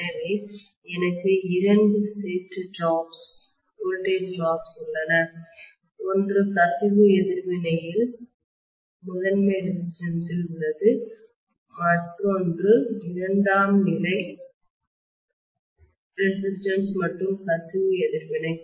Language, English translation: Tamil, So I have two sets of drops voltage drops, one is in the primary resistance in the leakage reactance, another one is secondary resistance and leakage reactance